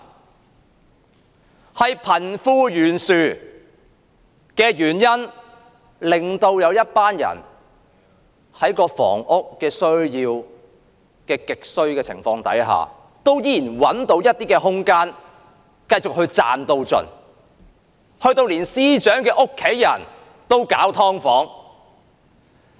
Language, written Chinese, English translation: Cantonese, 因為貧富懸殊的問題，在房屋需求極為殷切的情況下，有一群人找到空間繼續賺到盡，甚至連財政司司長的家人也搞"劏房"。, Given the disparity between the rich and the poor and the huge demand for housing a group of people seize the niche to maximize their profit . Even the family members of the Financial Secretary are operating subdivided units